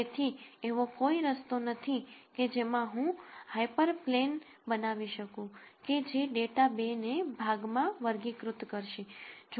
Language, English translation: Gujarati, So, there is no way in which I can simply generate a hyper plane that would classify this data into 2 regions